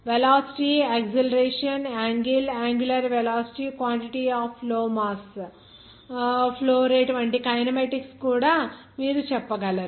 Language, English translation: Telugu, Even you can say those kinematics like velocity acceleration angle angular velocity quantity of flow mass flow rate